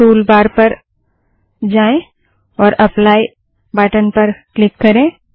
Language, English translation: Hindi, Go to the tool bar and click on the apply button